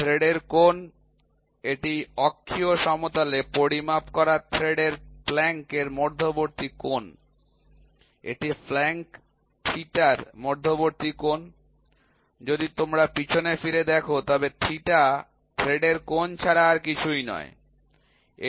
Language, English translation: Bengali, Angle of thread this is the angle between the plank of the thread measured in the axial plane, this is the angle between the flank theta, if you go back look at it theta, theta is nothing but angle of thread